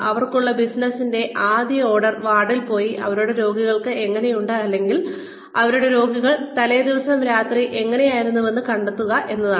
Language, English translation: Malayalam, The first order of business for them, is to go to the ward, and find out, how their patients have done, or how their patients have been, the previous night